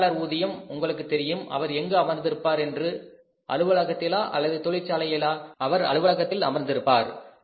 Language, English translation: Tamil, A major salary, you can understand where the manager is sitting, he is sitting in the factory or in the office